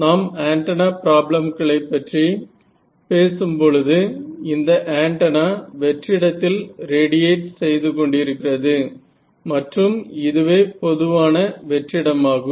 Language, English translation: Tamil, So, when we are talking about antenna problems here, the antenna sitting over here it is radiating out in free space and this is usually free space that we are talking about